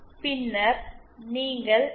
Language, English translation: Tamil, Then you can find out XCR and C